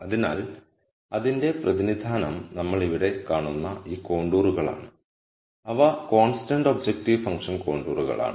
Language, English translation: Malayalam, So, the representation of that are these contours that we see here, which are constant objective function contours